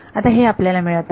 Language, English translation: Marathi, Now we are getting that